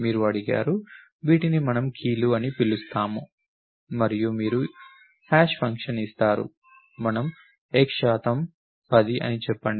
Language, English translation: Telugu, You are asked to, these are called let us call these the keys and you will given a hash function, let us say x percent 10